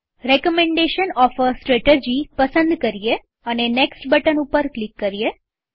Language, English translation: Gujarati, Select Recommendation of a strategy and click on the Next button